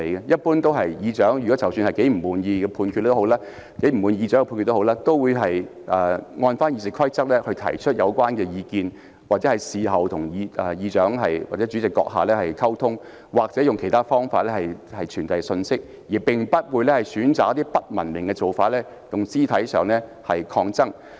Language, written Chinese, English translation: Cantonese, 一般來說，不管他們多麼不滿意主席的裁決，亦會按照《議事規則》提出意見，或事後與主席閣下溝通，又或透過其他渠道傳遞信息，而不會選擇一些不文明的做法，進行肢體抗爭。, Generally speaking no matter how upsetting they find a Presidents ruling they will express their views in accordance with RoP communicate with the President afterwards or relay their messages through other channels instead of choosing to act in an uncivilized manner by engaging in physical confrontation